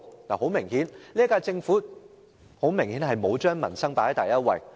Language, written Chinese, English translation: Cantonese, 由此可見，現屆政府沒有把民生放在第一位。, This shows that the current - term Government refuses to treat peoples livelihood as its first priority